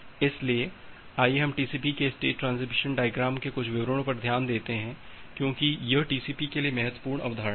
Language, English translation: Hindi, So, let us look into the state transition diagram of TCP in little details because, that is the important concept for TCP